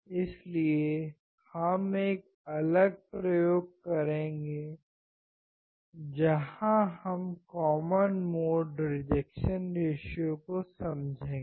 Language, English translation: Hindi, So, we will do a separate experiment where we will understand common mode rejection ratio